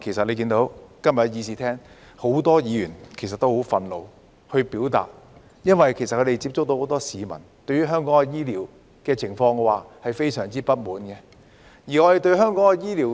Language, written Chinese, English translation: Cantonese, 例如今天的會議廳裏，很多議員都很憤怒，表達很多意見，因為他們接觸到的很多市民對香港的醫療非常不滿。, For example many Members in the Chamber are indignant today . They have expressed a lot of views because many people they have met are very dissatisfied with Hong Kongs healthcare services